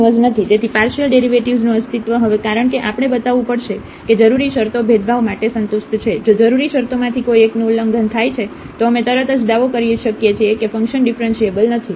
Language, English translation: Gujarati, So, the existence of partial derivative now because we have to show that the necessary conditions are satisfied for differentiability, if one of the necessary conditions violated then we can immediately claim that the function is not differentiable